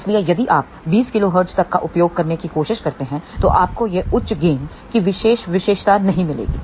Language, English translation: Hindi, So, if you try to use up to 20 kilohertz you will not get this particular characteristic of very high gain